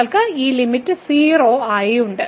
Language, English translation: Malayalam, So, you have this limit as 0